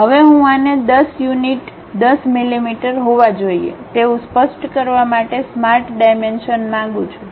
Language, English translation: Gujarati, Now, I would like to have a Smart Dimension to specify this supposed to be 10 units 10 millimeters